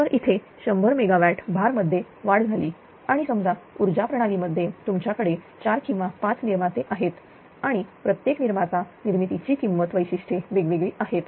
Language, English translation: Marathi, So, there is 100 megawatt increase of the load and suppose in the power system you have 4 or 5 generating units right and each generator in generating units they have different cost characteristic